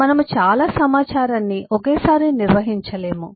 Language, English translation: Telugu, we cannot handle a lot of information together